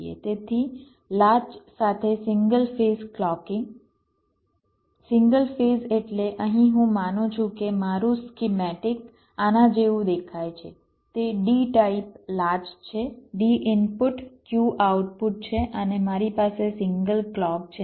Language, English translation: Gujarati, single phase means here i am assuming that my schematic looks like this its a d type latch, d input, ah, q output and i have a single clock